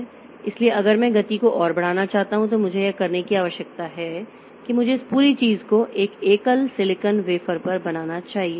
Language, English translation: Hindi, So, if I want to increase the speed further, what I need to do is that I should fabricate this whole thing onto a single silicon wafer